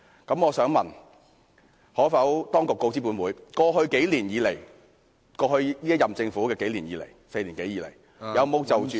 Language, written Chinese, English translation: Cantonese, 就此，當局可否告知本會：一過去數年，即現屆政府在過去4年多以來，有否就......, In this connection will the Government inform this Council 1 whether in the past few years that is in the past four years or so the incumbent Government